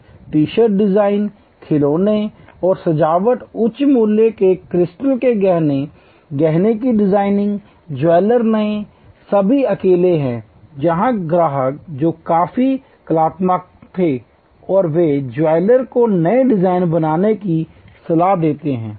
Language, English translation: Hindi, T shirt design, toys and decoration, high price crystal jewelry, jewelry design, jewelers new, all alone that there where customers who were quite artistic and they advice the jeweler to create new designs